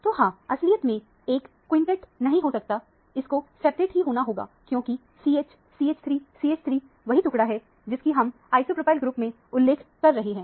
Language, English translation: Hindi, So, this cannot be actually a quintet; it has to be a septet because CH – CH3 CH3 is what the fragment is we are referring to as isopropyl group